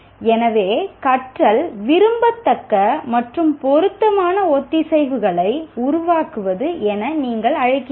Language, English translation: Tamil, So learning can be interpreted in terms of what do you call desirable and appropriate synapses forming